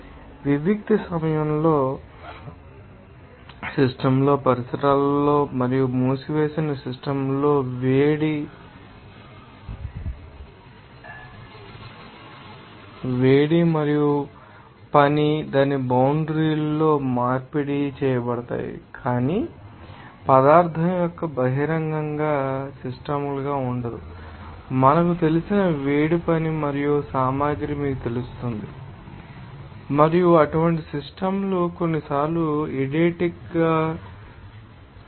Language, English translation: Telugu, Isolated system there are that does not exchange heat work or material with the surroundings and closed system they are in which heat and work are exchanged across its boundary, but material will not be open system will be defined as the system by our you know that heat work and materials would be you know, extends to the surroundings and adiabatic systems in that case most significant heat exchange with the surroundings will be happened